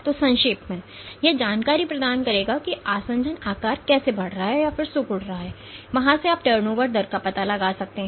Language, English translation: Hindi, So, in essence that would provide information as to how the adhesion size is growing and then shrinking and from there you can find out the turnover rate